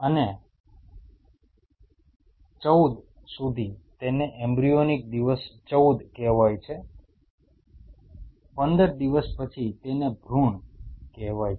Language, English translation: Gujarati, And up to 14 it is call an embryonic day 14 15 after post 15 it is called fetus